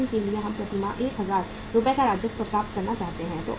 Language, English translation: Hindi, For example we want to have the revenue of 1000 Rs per month